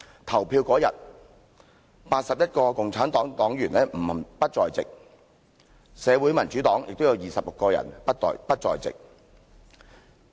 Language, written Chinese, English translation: Cantonese, 投票當天 ，81 位共產黨黨員不在席，社會民主黨也有26位議員不在席。, On the day of voting 81 and 26 parliamentary members respectively from the Communist Party and the Social Democratic Party were absent